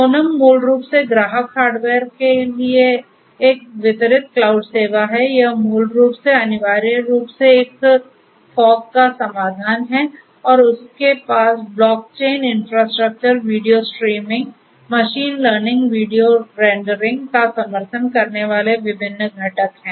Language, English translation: Hindi, Sonm, is basically a distributed cloud service for customer hardware, this is basically essentially it is a fog solution and they have different components supporting block chain infrastructure, video streaming, machine learning, video rendering